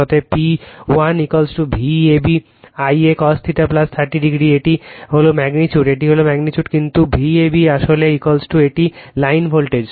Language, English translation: Bengali, Therefore, P 1 is equal to V a b I a cos theta plus 30 this is magnitude this is magnitude , but V a b actually is equal to a line voltage